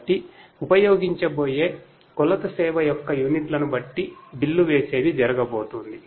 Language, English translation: Telugu, So, billing is going to happen depending on the units of measured service that are going to be used